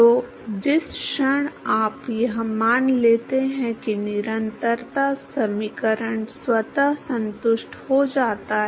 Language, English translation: Hindi, So, moment you assume this the continuity equation is automatically satisfied